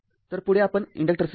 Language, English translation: Marathi, So, next we will take the inductors right